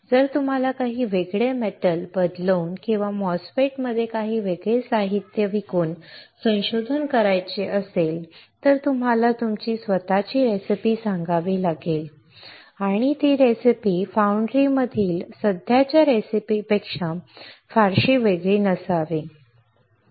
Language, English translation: Marathi, If you want to do a research by changing some different metals or by selling some different materials in a MOSFET, you have to tell your own recipe and that recipe should not be extremely different than the existing recipes in the foundry